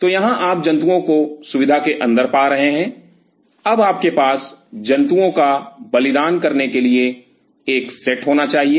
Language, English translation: Hindi, So, here you are getting the animal inside the facility, now you have to have a set up for sacrificing the animal